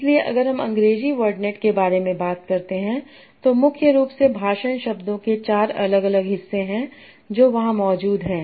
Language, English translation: Hindi, So if we talk about English word net, so there are mainly four different part of speech words that are present there